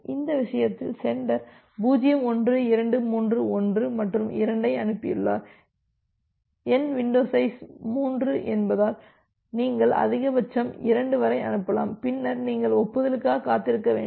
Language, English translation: Tamil, In that case, the sender has send 0 1 2 3 1 and 2 because my window size is 3 you can send maximum up to 2 and then you have to wait for an acknowledgement